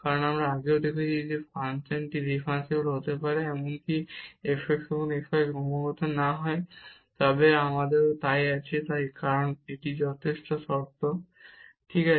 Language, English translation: Bengali, And, we have also seen that function may be differentiable even if f x and f y are not continuous this is what we have also; so because this is sufficient condition, ok